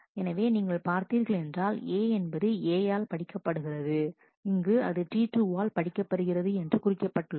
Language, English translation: Tamil, So, you see that well a is read by A is here read by T 2